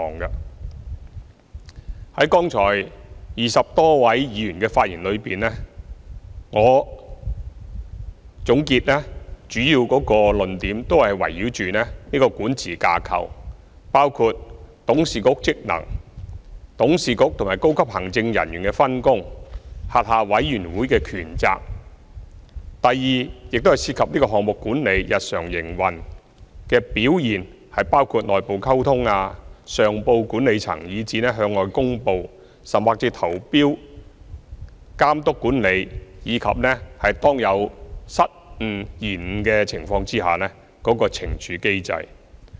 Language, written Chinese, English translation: Cantonese, 總結剛才20多位議員的發言，他們主要的論點都是圍繞港鐵公司管治架構，包括董事局的職能、董事局與高級行政人員的分工和轄下委員會的權責；第二，論點亦涉及項目管理、日常營運的表現，包括內部溝通、上報管理層以至向外公布、投標的監督管理，以及當有失誤、延誤的情況時的懲處機制。, To sum up the main ideas of the speeches just made by the 20 - odd Members just now all centred on the governance structure of MTRCL including the functions of the board of directors the division of responsibilities between the board of directors and the senior executives and the powers and responsibilities of its committees . Secondly the points they raised also involve project management and daily operational performance which cover internal communication the reporting to the management and making public announcements supervision and management of tendering and the penalty mechanism under circumstances where any blunder or disruption occurs